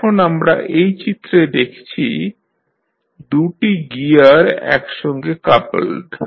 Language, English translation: Bengali, Now, we see these in the figure, we see 2 gears are coupled together